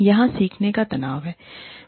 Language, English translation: Hindi, There are tensions of learning